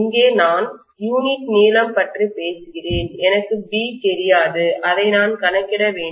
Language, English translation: Tamil, Here I am talking about unit length, I do not know B, I have to calculate